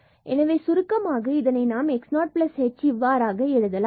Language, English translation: Tamil, So, precisely we can also write here x 0 plus h